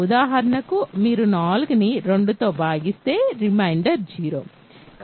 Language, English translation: Telugu, For example, when you divide 5 by 4 by 2 the reminder is 0